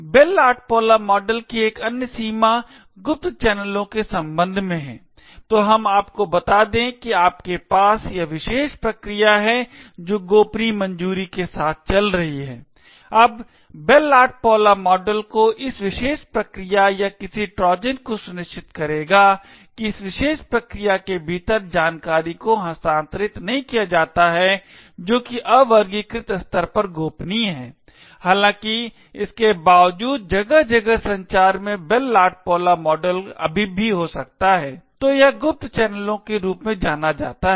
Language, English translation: Hindi, Another limitations of the Bell LaPadula model is with respect to covert channels, so let us say that you have this particular process which is running with a clearance of confidential, now the Bell LaPadula model would ensure at this particular process or any Trojan running within this particular process does not transfer information which is confidential to the unclassified level, however in spite of the Bell LaPadula model in place communication may still occur so what is known as covert channels